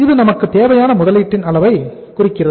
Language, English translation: Tamil, It means this much of the level of the investment we require